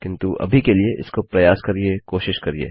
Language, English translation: Hindi, But for now, try this out, give it a go